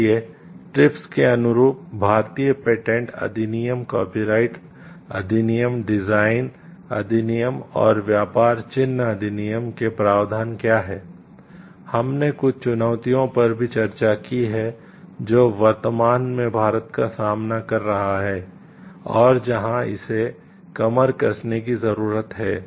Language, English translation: Hindi, So, that in conformity with the TRIPS; what are the provisions of Indian Patents Act, Copyrights Act, Designs Act and Trade Marks Act, we have also discussed some of the challenges which India presently is facing and where it needs to gear up